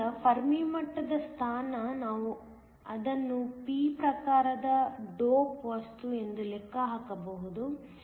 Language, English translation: Kannada, So, Fermi level position, we can just calculate it is a p type dope material